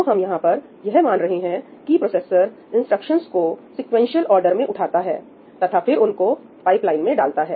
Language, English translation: Hindi, So, here we are assuming that the processor is just picking up the instructions in sequential order and putting them into the pipeline